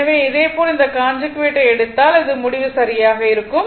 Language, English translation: Tamil, So, similarly if you do this conjugate same same result you will get right